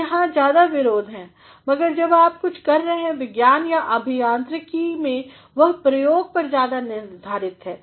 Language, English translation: Hindi, So, there is more of argumentation, but when you are doing something on in science and in engineering, it is based more on experimentation